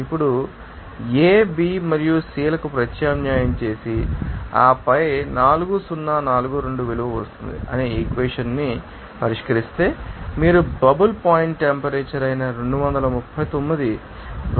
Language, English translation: Telugu, Now, substitution of this A, B and C and then solving the equation the value 4042 will come, you can get that you will equal to 239 2